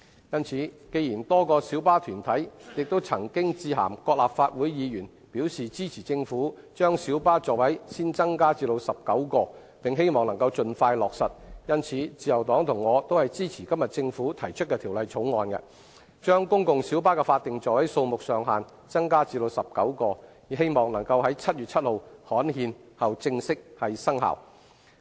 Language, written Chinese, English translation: Cantonese, 因此，既然多個小巴團體亦曾經致函各立法會議員，表示支持政府把小巴座位先增加至19個，並希望能夠盡快落實，因此自由黨及我都支持政府今天提出的《條例草案》，把公共小巴的法定座位數目上限增加至19個，以冀能在7月7日刊憲後正式生效。, For this reason as various light bus associations have written to Legislative Council Members stating their support of the Governments proposal to first increase the seating capacity of light buses to 19 and their wish of the expeditious implementation of the proposal the Liberal Party and I support the Bill proposed by the Government today to increase the statutory maximum seating capacity of PLBs to 19 so that the legislation can come into operation on 7 July following its gazettal